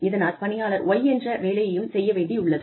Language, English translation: Tamil, And, the employee is required to do, Y also